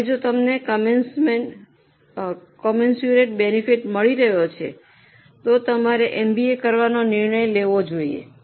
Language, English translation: Gujarati, Now, if you are getting commensurate benefit, you should take a decision to do MBA